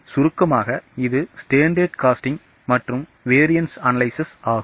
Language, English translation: Tamil, This is in nutshell what is standard costing and variance analysis